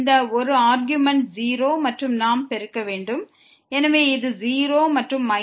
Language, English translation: Tamil, And this one argument is 0 and we have the product